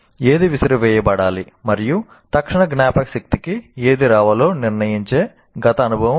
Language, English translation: Telugu, So it is a past experience that decides what is to be thrown out and what should get into the immediate memory